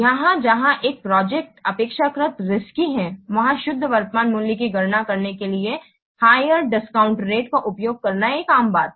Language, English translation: Hindi, Here where a project is relatively risky it is a common practice to use a higher discount rate to calculate the net present value